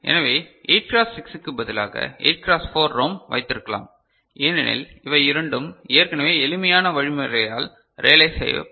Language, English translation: Tamil, So, we can have a 8 cross 4 ROM instead of 8 cross 6 right because these two are already you know, realized by simpler means ok